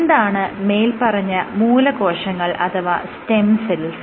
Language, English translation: Malayalam, What are stem cells